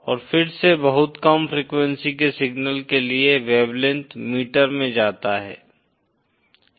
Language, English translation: Hindi, And again for very low frequency signals, the wavelength goes in metres